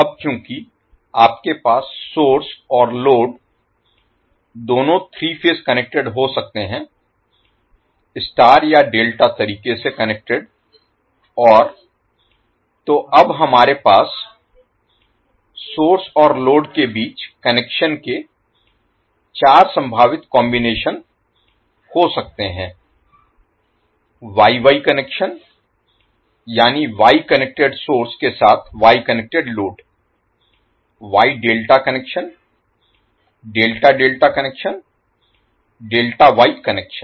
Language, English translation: Hindi, Now since you can have source and load both three phase connected in either star or delta connected fashion, so we can have now four possible combinations of the connections between source and load, so we can say source and load are star star connected or Y Y connected that means the source is Y connected as well as load is also Y connected